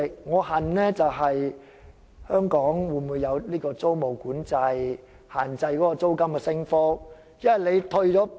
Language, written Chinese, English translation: Cantonese, 我渴求香港有租務管制，限制租金升幅。, I long for the implementation of rent control in Hong Kong to restrain the increase in rent